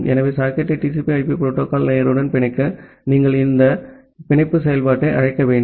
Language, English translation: Tamil, So, to bind the socket with the TCP/IP protocol stack, you have to call this bind function